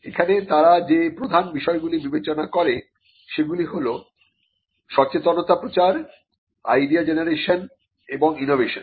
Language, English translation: Bengali, Here again the major factors that they consider includes awareness promotion and support of idea generation and innovation